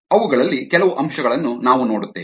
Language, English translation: Kannada, we look at some aspects of that